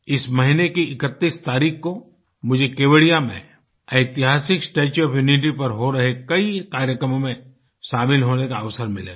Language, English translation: Hindi, Friends, on the 31stof this month, I will have the opportunity to attend many events to be held in and around the historic Statue of Unity in Kevadiya…do connect with these